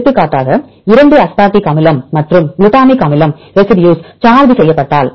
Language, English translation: Tamil, For example if the two residues are charged for example, aspartic acid and glutamic acid